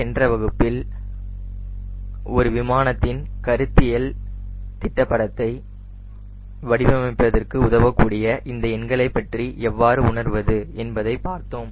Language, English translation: Tamil, in the last class we have ah seen that how to get fill for few numbers so that it can help you to design a conceptual sketch of an aero plane